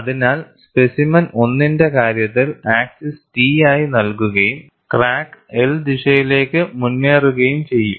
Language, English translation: Malayalam, So, in the case of specimen 1, the axis is given as T and the crack will advance in the direction L